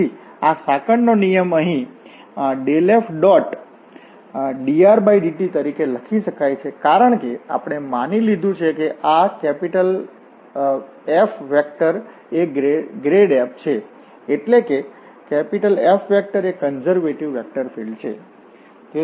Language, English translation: Gujarati, So, this chain rule here can be written as the gradient F dot product of dr over dt or we can write down because we have assumed that this F is a F is equal to this grade f, F is a conservative vector field